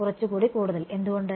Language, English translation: Malayalam, Little bit more, why